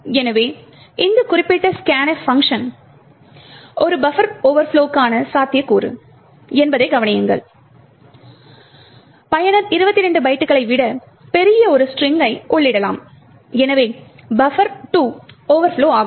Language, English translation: Tamil, So, note that this particular scanf function is a potential for a buffer overflow the reason is that the user could enter a large string which is much larger than 22 bytes and therefore buffer 2 can overflow